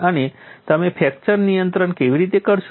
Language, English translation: Gujarati, And how do you do fracture control